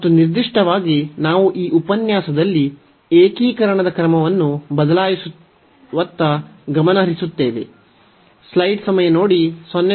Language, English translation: Kannada, And in particular we will be focusing on the change of order of integration in this lecture